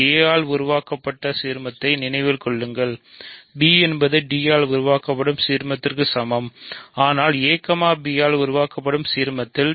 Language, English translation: Tamil, Remember the ideal generated by a, b is equal to the ideal generated by d, but a is an element of the ideal generated by a, b